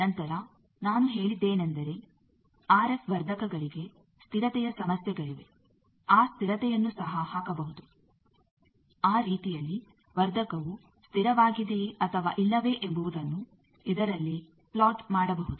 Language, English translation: Kannada, Then I said that RF amplifiers have stability problems that stability also can be put that way that a amplifier is stable or not that we can plot on this